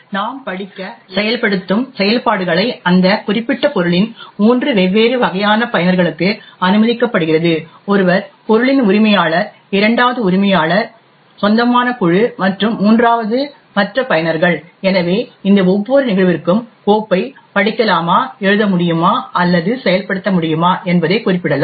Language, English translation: Tamil, Where we have the read, write, execute operations that are permitted on three different types of users of that particular object, one is the owner of the object, second is the group which the owner belongs to and the third or are all the other users, so for each of these cases we can specify whether the file can be read, written to or executed